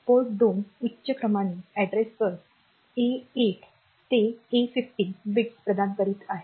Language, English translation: Marathi, So, Port 2 is providing the higher order address bus A to A 15 bits